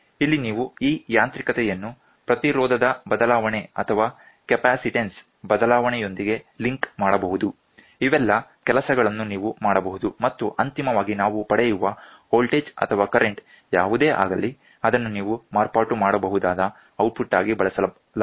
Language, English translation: Kannada, And here this mechanical can you can link this mechanical with a change in resistance, change in capacitance, all these things you can do and finally, what we get is a voltage or current whatever, it is will be used as the output which you can modify